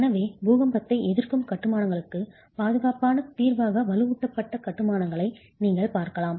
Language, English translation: Tamil, So, you can look at reinforced masonry as a viable, safe solution for earthquake resistant constructions